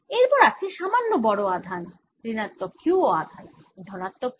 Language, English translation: Bengali, next, i have slightly larger charge, minus q plus q